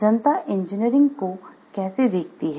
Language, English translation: Hindi, How the public views engineering